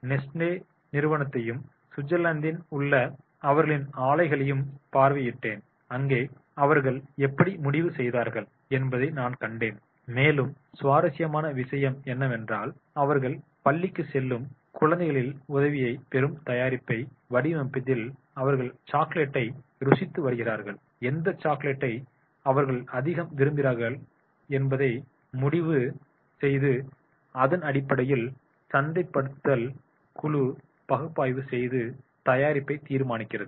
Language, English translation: Tamil, I have also visited the Nessalese companies they plant at the Switzerland and there I have found that is the how they have decided and the interesting is this the product in the deciding the products they take the help of the kids, the school going kids, they come, they taste the chocolates and then they decide that is the which chocolate they like most and on basis of that the marketing team does the analysis and decides the product